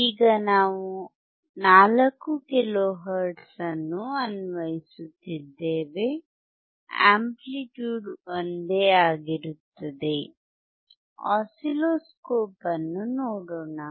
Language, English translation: Kannada, Now we are applying 4 kilo hertz, amplitude is same, let us see the oscilloscope